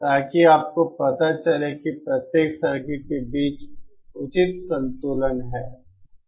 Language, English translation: Hindi, So that you know there is proper balance between the individual circuits